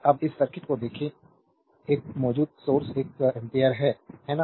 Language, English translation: Hindi, Now, look at this circuit is a current source one ampere, right